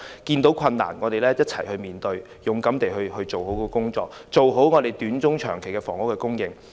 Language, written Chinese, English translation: Cantonese, 遇到困難的話，我們一起面對，勇敢地做好工作，做好本港短中長期的房屋供應。, In times of difficulties we should act in concert to do a good job courageously in order to meet the short - medium - and long - term housing needs of Hong Kong